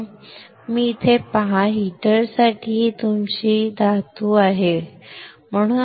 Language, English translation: Marathi, You see here this one is your metal for heater, right